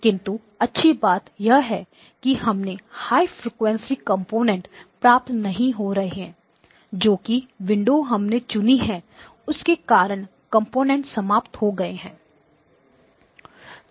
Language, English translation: Hindi, But the good news is that these high frequency components would not be there because those would have died down because of the window that you chose